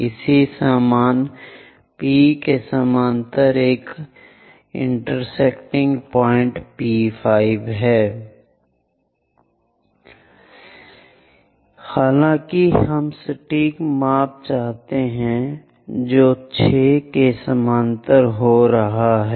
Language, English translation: Hindi, Similarly, pass parallel to 5 it is intersecting at this point P5 prime for 6 again it goes via this point; however, we want precise measurement which is going parallel to the 6